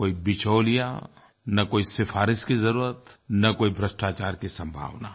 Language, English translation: Hindi, No middlemen nor any recommendation, nor any possibility of corruption